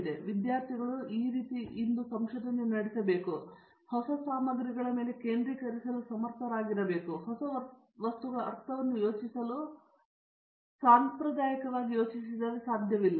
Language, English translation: Kannada, Therefore, what today is the student research, students should be able to focus on these new materials and since they have been conventionally thought they are not able to think the new materials sense